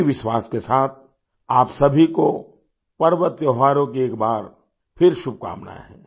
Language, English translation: Hindi, With this very belief, wish you all the best for the festivals once again